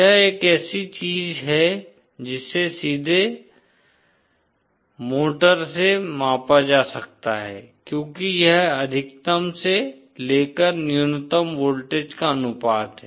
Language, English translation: Hindi, It is something that can be directly measured with a motor because it is the ratio of the maximum to the minimum voltages